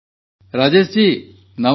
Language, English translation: Odia, Rajesh ji Namaste